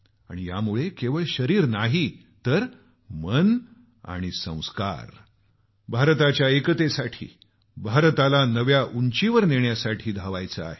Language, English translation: Marathi, And so, not just our body, but our mind and value system get integrated with ushering unity in India to take India to loftier heights